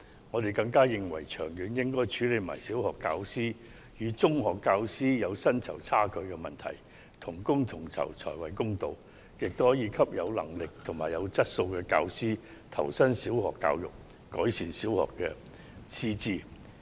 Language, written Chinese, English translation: Cantonese, 我們更認為長遠而言，應一併處理小學教師與中學教師的薪酬存在差距的問題，因為同工同酬才屬公道，這亦可鼓勵有能力及有質素的教師投身小學教育，改善小學的師資。, We are even of the view that in the long run the Government should also address the issue of pay difference between primary and secondary school teachers because it would only be fair to ensure equal pay for equal work . This can also encourage more competent and quality teachers to join the ranks of primary school teachers thereby upgrading the qualifications of primary school teachers